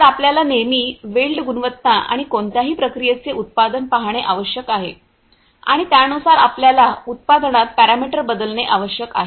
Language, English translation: Marathi, So, you always need to look at the weld quality or the you know the product of the of any process and accordingly you have to change the parameter so, that in terms of essentially in the product